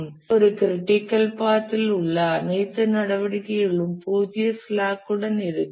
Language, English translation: Tamil, So, all the activities on a critical path will have zero slack